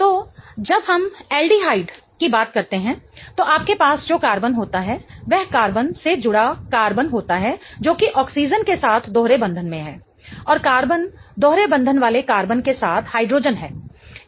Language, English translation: Hindi, So, when we talk of aldehyde, what you have here is a carbon attached to a carbon which is double bonded to an oxygen and the carbon, the double bonded carbon has a hydrogen group